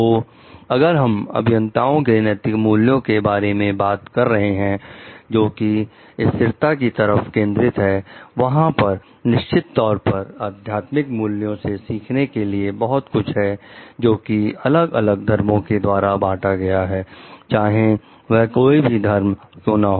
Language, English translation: Hindi, So, if we are talking of ethical values for the engineers, which is focused towards sustainability, there is definitely lot to be learned from the spiritual values shared by the different religions; be it whatever religion